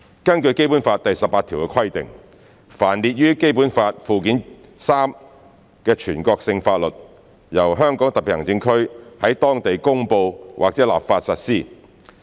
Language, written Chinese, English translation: Cantonese, 根據《基本法》第十八條的規定，凡列於《基本法》附件三之全國性法律，由香港特別行政區在當地公布或立法實施。, According to Article 18 of the Basic Law the national laws listed in Annex III to the Basic Law shall be applied locally by way of promulgation or legislation by HKSAR